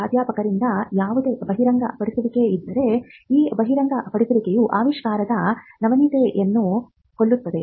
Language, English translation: Kannada, If there is any disclosure be it from the professor himself then that disclosure can kill the novelty of an invention